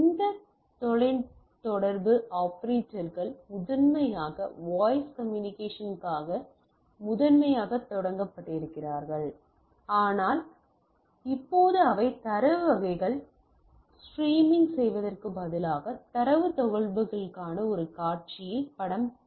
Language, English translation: Tamil, So, these telecom operators are primarily initially started or primarily started for voice communication, but now they graduated to a scenario of to data communication rather streaming data type of thing